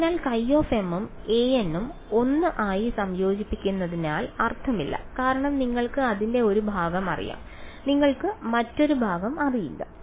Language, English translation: Malayalam, So, there is no point in combining x n and a n into 1 because you know part of it and you do not know another part